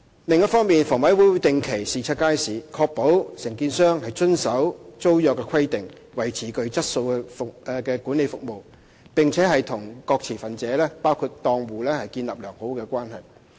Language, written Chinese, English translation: Cantonese, 另一方面，房委會會定期視察街市，確保承租商遵守租約規定、維持具質素的管理服務，並且與各持份者建立良好關係。, On the other hand HA will carry out regular inspections on markets to ensure that the single operators comply with the tenancy requirements maintain quality management services and establish a good relationship with various stakeholders including stall operators and so on